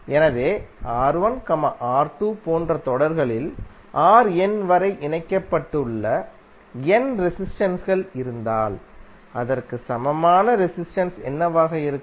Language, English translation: Tamil, So suppose if you have n resistances connected in series like R¬1, ¬R¬2 ¬upto R¬n ¬are there what would be the equivalent resistance